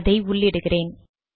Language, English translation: Tamil, We entered that also